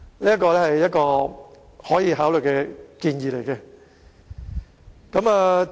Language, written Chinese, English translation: Cantonese, 這是一個可以考慮的建議。, This proposal is worth consideration